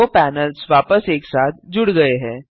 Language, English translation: Hindi, The two panels are merged back together